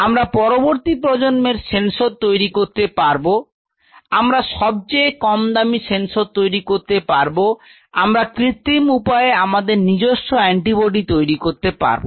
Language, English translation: Bengali, We can create next generation sensors, we can create the cheapest sensors we can have we can produce our own set of anti bodies in an artificial synthetic system